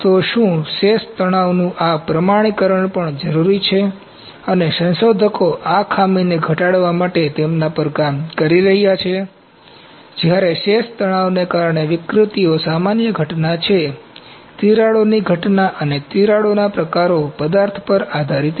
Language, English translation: Gujarati, So, does this quantification of residual stresses is also necessary and researchers are working on them to mitigate this defect, while deformations due to residual stresses is a general phenomenon, the occurrence of cracks and types of cracks are material dependent